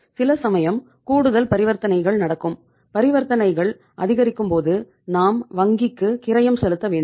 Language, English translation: Tamil, Sometime it increases and when the transaction increases we have to pay the cost to the bank